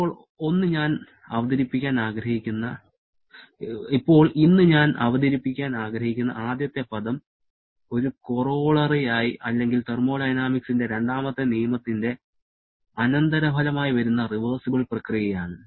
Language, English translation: Malayalam, Now, the first term that I would like to introduce today which comes straight as corollaries or consequence of the second law of thermodynamics is the reversible process